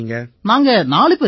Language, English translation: Tamil, We are four people Sir